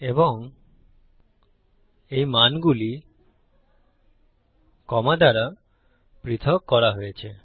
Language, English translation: Bengali, And these values will be separated by commas